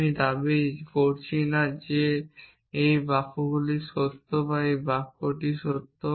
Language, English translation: Bengali, I am not claiming that this sentences is true or this sentence is true